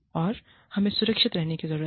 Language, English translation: Hindi, And, we need to be safe